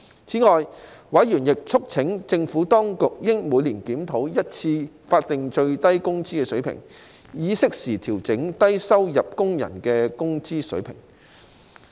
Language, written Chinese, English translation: Cantonese, 此外，委員促請政府當局應每年檢討一次法定最低工資水平，以適時調整低收入工人的工資水平。, Besides members urged the Administration to review the Statutory Minimum Wage rate annually to adjust the wage level of low - income workers on a timely basis